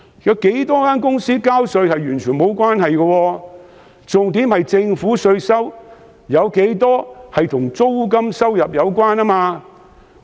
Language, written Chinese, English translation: Cantonese, 有多少公司交稅完全沒有關係，重點是政府的稅收有多少與租金收入有關。, The point is not how many companies are paying taxes in Hong Kong but how much tax revenue comes from rental income